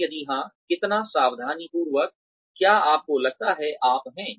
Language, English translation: Hindi, And, if yes, how meticulous, do you think, you are